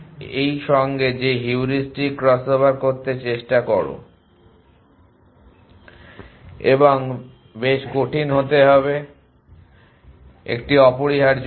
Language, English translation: Bengali, Try to do that heuristic crossover with this and should be quite difficult is an essentially